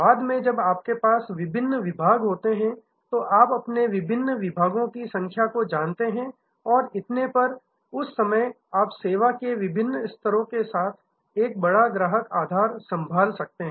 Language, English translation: Hindi, Later on when you have the, you know number of different departments and so on, at that time you can handle a much larger customer base with different tiers of service